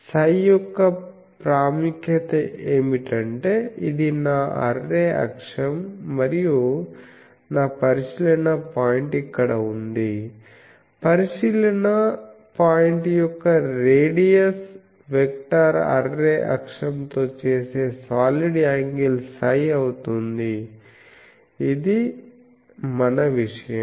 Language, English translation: Telugu, The significance of psi, we have seen that if I have an array axis, this is my array axis, and my observation point is here, the solid angle that the observation points radius vector makes with the array axis is psi angle psi that was our thing